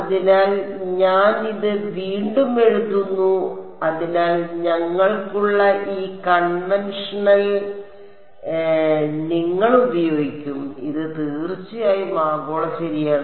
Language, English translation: Malayalam, So, I am writing this again so that you get used to this convention that we have and this of course, is global ok